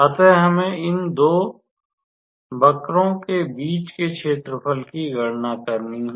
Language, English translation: Hindi, So, we have to calculate the area between these two curves